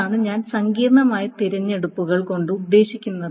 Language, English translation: Malayalam, That is what I mean by complex selections